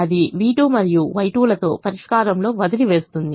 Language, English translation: Telugu, so that leaves me with v two and y two in the solution